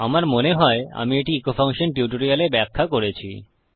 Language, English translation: Bengali, I think I have explained this in my echo function tutorial